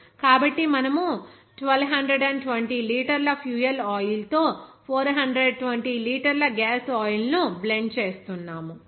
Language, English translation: Telugu, So we are blending 420 liters of gas oil with the 1200 liters of fuel oil